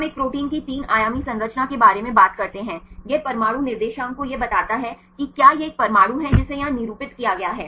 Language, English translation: Hindi, We talk about the three dimensional structure of a protein, it gives the atomic coordinates say if this is an atom here denoted here